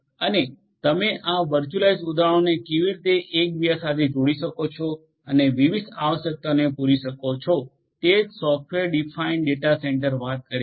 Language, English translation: Gujarati, And, how do you interconnect this virtualized instances and cater to the specific requirements is what software defined data centre talks about